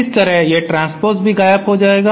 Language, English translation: Hindi, Similarly this transposed term will also vanish